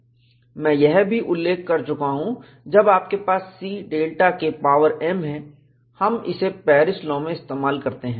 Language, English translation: Hindi, I had also mentioned, when you have C delta K power m, we use that in Paris law